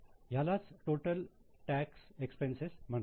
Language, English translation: Marathi, This is called as total tax expenses